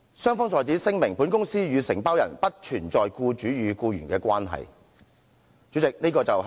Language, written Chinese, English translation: Cantonese, 雙方在此聲明，本公司與承包人不存在僱主與僱員的關係。, Both Parties hereby declare that the Company and the Contractor are not in an employer - employee relationship